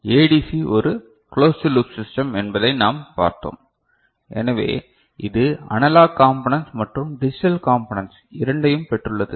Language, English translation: Tamil, We had seen that ADC is a closed loop system ok, so it has got both analog components and digital components, is not it